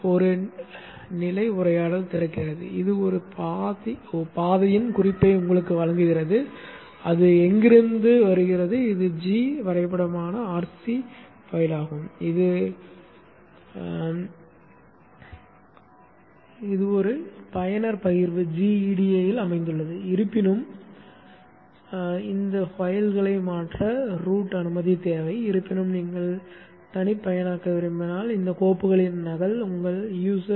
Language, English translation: Tamil, There is a status dialogue which opens, which just gives you an indication of the paths which from where it takes this is the G schematic RC file G GFC file where it is located is located in user share GEDA however these are in the this need route permission to modify these files however if you want to, you need to have a copy of these files in your user